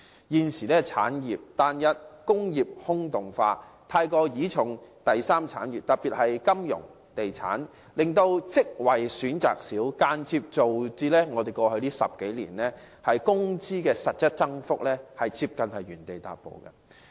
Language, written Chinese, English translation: Cantonese, 現時香港產業單一，工業"空洞化"，過度倚賴第三產業，特別是金融和地產，令職位選擇減少，間接造成過去10多年的工資實質增幅幾乎原地踏步。, Hong Kongs current industrial structure is too homogenous and has hollowed out . Our over - reliance on the tertiary industry particularly finance and real estate has resulted in a reduction of job choices and indirectly led to almost no increase in wages in real terms for the past decade or so